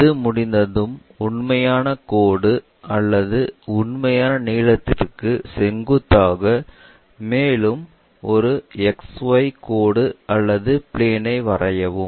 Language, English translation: Tamil, Once it is done, perpendicular to the true line or true length, draw one more X 1, I 1 line or plane